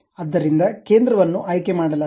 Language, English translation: Kannada, So, center has been picked